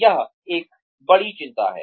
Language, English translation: Hindi, That is one big concern